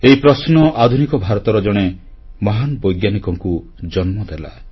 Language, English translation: Odia, The same question gave rise to a great scientist of modern India